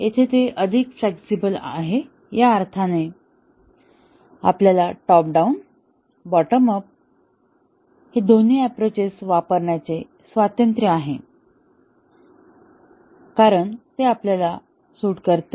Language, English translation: Marathi, So, here it is more flexible in the sense that we have the liberty to use both top down and bottom up approaches as it suites us